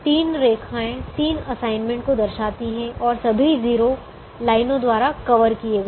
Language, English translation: Hindi, there are three lines indicating three assignments and all the zeros are covered by the lines